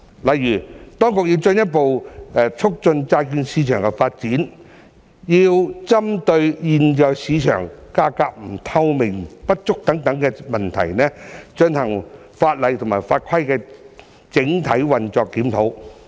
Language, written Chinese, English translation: Cantonese, 例如，當局要進一步促進債券市場發展，要針對現時市場價格透明度不足等問題，進行法例法規與整體運作的檢討。, For example to further promote the development of the bond market the authorities need to review the laws and regulations and the overall operation of the market in view of the lack of transparency in market prices at present